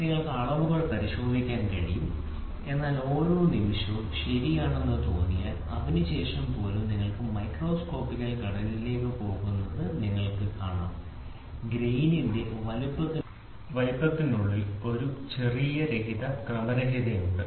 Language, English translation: Malayalam, You can check the dimensions, but moment every dimension is, ok then even after that you will see you go to the microscopical structure you see there is a small amount of randomness within the grain size